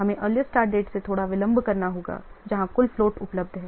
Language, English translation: Hindi, We have to slightly delay from the earliest date where total float is available